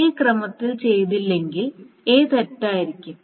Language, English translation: Malayalam, If this is not done in this order then the A will be wrong